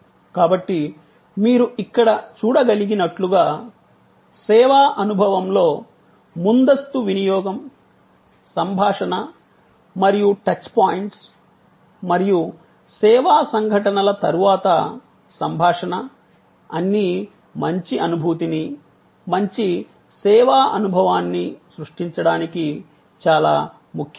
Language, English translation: Telugu, So, as you can see here, both pre consumption, communication, communication and touch points during the service experience and communication after the service incidence or are all very important to create an overall good feeling, good services, experience